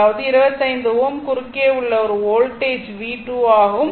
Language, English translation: Tamil, That is that to a voltage across 25 ohm is V 2 this is 25 ohm